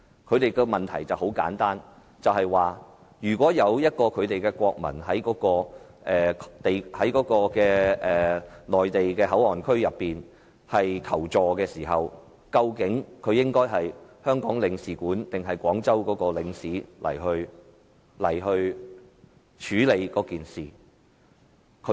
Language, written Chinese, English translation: Cantonese, 他們的問題很簡單，如果他們的國民在內地口岸區求助，究竟應該由他們在香港的領事還是廣州的領事處理此事？, Their question is very simple . If their people seek assistance in the Mainland Port Area should this case be handled by their consul in Hong Kong or the one in Guangzhou?